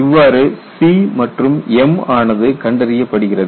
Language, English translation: Tamil, So, that is how you find out the C and m